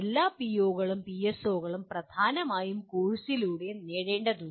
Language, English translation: Malayalam, After all POs and PSOs have to be dominantly be attained through courses